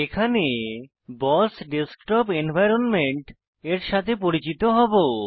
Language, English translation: Bengali, In this tutorial, we will get familiar with the BOSS Desktop environment